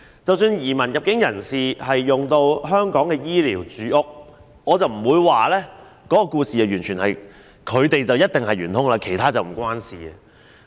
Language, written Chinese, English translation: Cantonese, 即使移民和入境人士使用香港的醫療、住屋資源，我不會斷言他們便是元兇，其他人與此無關。, Even though new immigrants and entrants have consumed the health care and housing resources of Hong Kong I will not assert that they are the source of trouble and other people have nothing to do with it